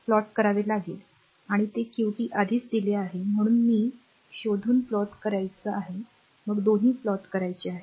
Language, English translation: Marathi, Qt is already given only it you have to plot it you have to find out then plot both right